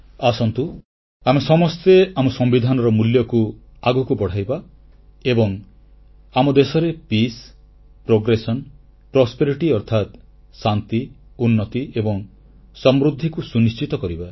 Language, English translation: Odia, Let us all take forward the values enshrined in our Constitution and ensure Peace, Progress and Prosperity in our country